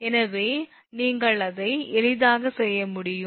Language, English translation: Tamil, So, you can easily make it